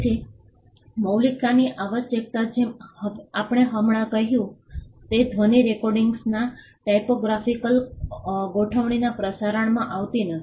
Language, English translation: Gujarati, So, the originality requirement as we just mentioned does not fall on sound recordings broadcast typographical arrangements